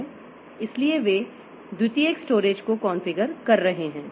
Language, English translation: Hindi, So, these are called secondary storage